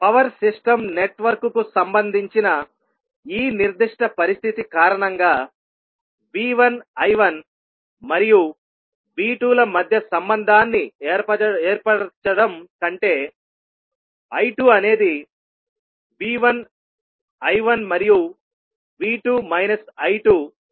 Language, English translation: Telugu, So because of this specific condition related to power system network rather than is stabilising the relationship between V 1 I 1 and V 2 I 2 stabilizes the relationship between V 1 I 1 and V 2 and minus of I 2